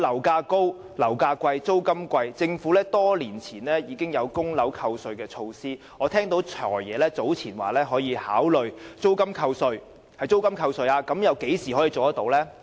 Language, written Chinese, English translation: Cantonese, 此外，樓價高、租金貴，政府在多年前曾推出供樓扣稅的措施，而我早前也聽過"財爺"說會考慮讓租金扣稅，但何時才可以做到呢？, On the other hand in view of high property prices and exorbitant rents the Government implemented the measure of tax deduction for home mortgages many years ago and earlier on I heard that the Financial Secretary would consider introducing tax deduction for rental payments . When will such measures be implemented?